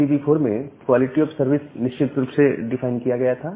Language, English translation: Hindi, So in IPv4 the quality of service was vaguely defined